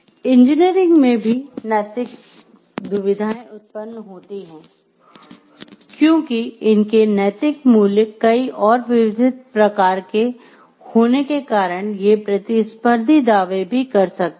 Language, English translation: Hindi, Ethical dilemmas arise in engineering because moral values are many and varied and, can make competing claims